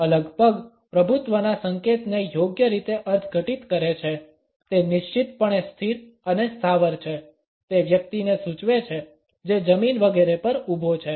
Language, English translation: Gujarati, Legs apart is rightly interpreted as a signal of dominance, it is resolutely stable and immovable indicates a person who is standing the ground etcetera